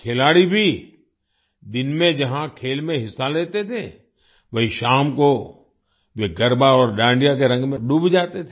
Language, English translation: Hindi, While the players also used to participate in the games during the day; in the evening they used to get immersed in the colors of Garba and Dandiya